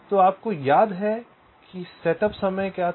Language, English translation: Hindi, so you recall, ah, what was the setup time